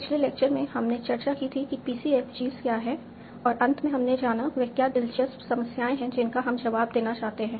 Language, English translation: Hindi, In the last lecture we had discussed what is PCFG and we finally came up with what are the interesting problems that we would like to answer